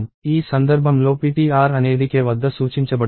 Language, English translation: Telugu, So, in this case ptr is made to point at k